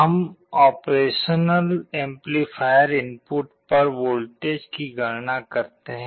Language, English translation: Hindi, We calculate the voltages at the at the op amp input